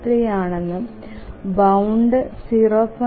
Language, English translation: Malayalam, 753 and the is 0